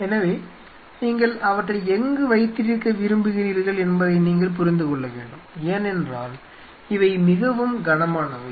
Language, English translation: Tamil, So, you have to understand where you want to keep them because these are heaviest stuff